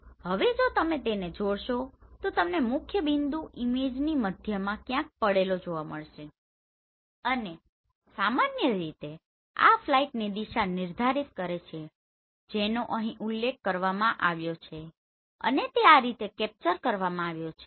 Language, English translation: Gujarati, Now if you join them you will find your principle point lying somewhere in the center of the image right and in general this defines the direction of the flight which is mentioned here and this has been captured like this